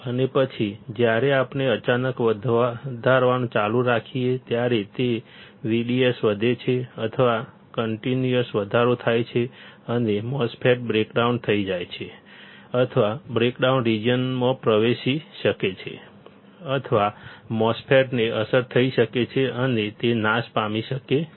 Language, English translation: Gujarati, And then when we keep on increasing suddenly it shoots up after or continuous increase in the V D S and the MOSFET may get breakdown or enters a breakdown region or the MOSFET may get affected and it may get destroyed